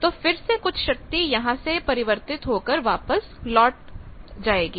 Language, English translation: Hindi, So, again some of that power will come back to the load